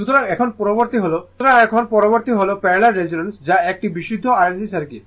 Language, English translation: Bengali, So, now parallel next is the parallel resonance that is pure RLC circuit